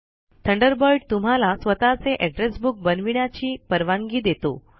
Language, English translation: Marathi, Thunderbird also allows you to create your own address book